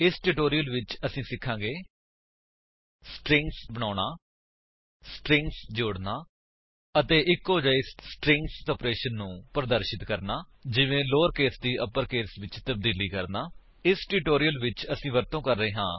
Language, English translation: Punjabi, In this tutorial, we have learnt: how to create strings, add strings and perform string operations like converting to lower case and upper case